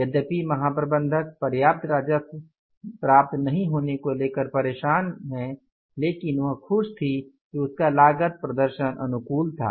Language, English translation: Hindi, Although the general manager was upset about the not obtaining enough revenue as she was happy that her cost performance was favorable, right